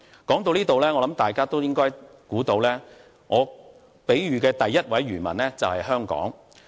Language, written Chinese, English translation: Cantonese, 說到這裏，我相信大家都應該猜到，故事中第一位漁民就是香港。, At this point I believe Members should be able to guess that the first fisherman in my story alludes to Hong Kong